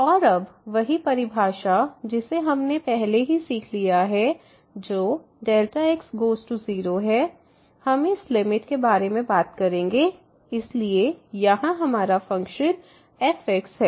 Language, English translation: Hindi, And now the same definition what we have learnt already that the delta goes to 0, we will be talking about this limit so our function here